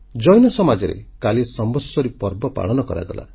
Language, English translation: Odia, The Jain community celebrated the Samvatsari Parva yesterday